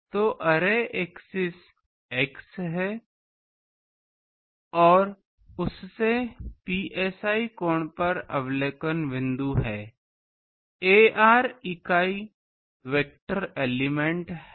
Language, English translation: Hindi, So, array axis is x and from that at an angle psi we have the observation point, ar is the unit vector element